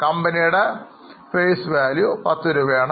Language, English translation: Malayalam, Face value of the company is rupees 10